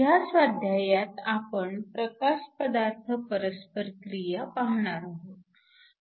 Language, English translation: Marathi, This is assignment 7, going to look at light matter interaction